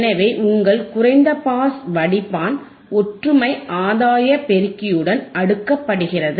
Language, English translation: Tamil, So, your low pass filter is cascaded with unity gain amplifier